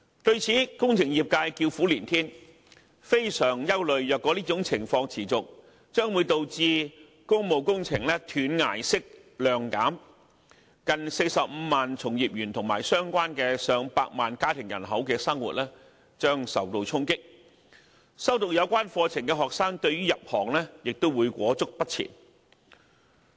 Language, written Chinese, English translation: Cantonese, 對此，工程業界叫苦連天，非常憂慮如果這種情況持續，將會導致工務工程"斷崖式"量減，令近45萬名從業員及相關的上百萬家庭人口的生活受到衝擊，修讀有關課程的學生對於入行亦會裹足不前。, As a result the engineering sector is groaning and complaining loudly as most people are extremely concerned that a cliff - like drop of public works projects will emerge if things continue like that . The lives of more than 450 000 people engaging in the business and more than 1 million of their families will be affected and students studying the relevant courses will also hesitate and hold back as to whether they should join the sector